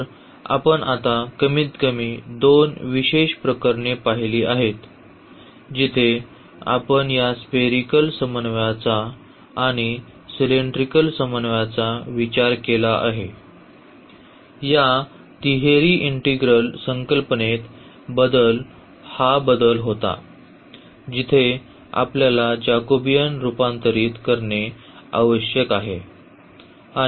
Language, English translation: Marathi, So, what we have seen now at least two special cases where the we have considered this spherical coordinate and also the cylindrical coordinate; in this triple integral the concept was this change of variables where the Jacobian we need to convert